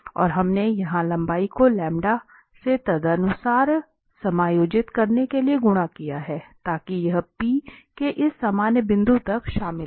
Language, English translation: Hindi, And we have multiplied here by lambda to adjust the length accordingly, so that it covers from P to this general point